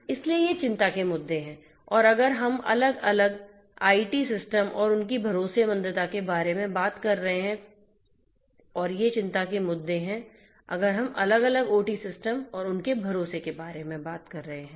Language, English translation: Hindi, So, these are the issues of concern if we are talking about isolated IT systems and their trustworthiness and these are the issues of concern if we are talking about isolated OT systems and they are trustworthiness